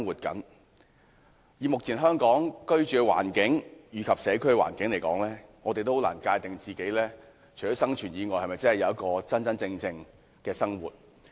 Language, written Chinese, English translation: Cantonese, 根據目前香港的居住環境和社區環境，我們很難界定自己除了生存以外，是否擁有真正的生活。, In view of the living and community environment in Hong Kong it is very difficult for us to say that apart from staying alive we also have a real life